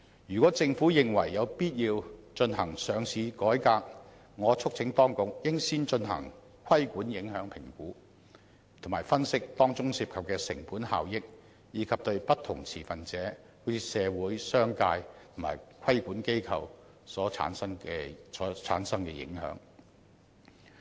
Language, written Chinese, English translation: Cantonese, 如果政府認為有必要進行上市改革，我促請當局應先進行規管影響評估，並分析當中涉及的成本效益，以及對不同持份者如社會、商界及規管機構所產生的影響。, If a reform of the governance structure for listing regulation is considered necessary I urge the Government to first conduct a regulatory impact assessment and analyse the cost - effectiveness of the measures involved as well as their impact on different stakeholders such as the entire society business sector and regulatory bodies